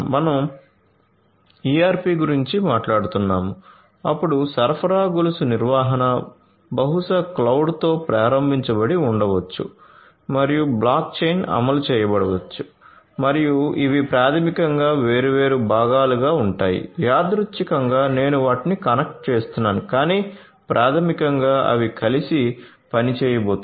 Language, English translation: Telugu, We are talking about you know ERP, then supply chain management, probably cloud enabled and also may be you know block chain implemented, block chain implemented and these basically will be these are these different components which are going to randomly I am you know connecting them, but basically they are going to work together